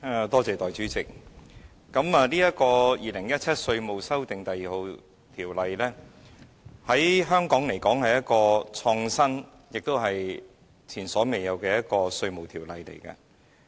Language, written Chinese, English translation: Cantonese, 代理主席，《2017年稅務條例草案》在香港來說，是一項創新和前所未有的稅務法例。, Deputy President the Inland Revenue Amendment No . 2 Bill 2017 the Bill is an innovative and unprecedented piece of taxation legislation in Hong Kong